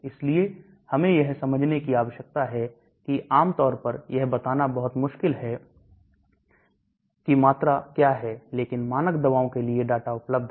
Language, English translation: Hindi, So we need to understand that generally it is very difficult to tell what is the volume, but for standard drugs the data is available